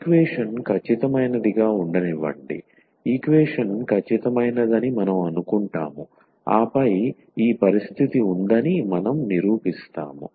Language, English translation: Telugu, So, let the equation be exact, so we assume that the equation is exact and then we will prove that this condition holds